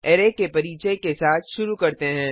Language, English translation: Hindi, Let us start with the introduction to Array